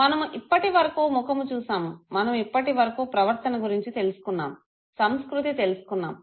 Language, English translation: Telugu, We have till now looked at the face, we have till now looked at the behavior, the culture, we have not still entered into the brain